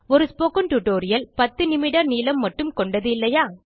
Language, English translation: Tamil, After all, a spoken tutorial is only ten minutes long